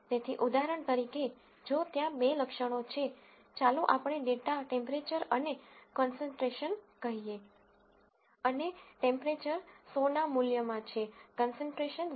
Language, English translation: Gujarati, So, for example, if there are two attributes, let us say in data temperature and concentration, and temperatures are in values of 100, concentrations are in values of 0